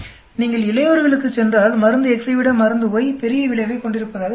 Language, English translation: Tamil, If you go to adult, drug Y seems to have bigger effect than drug X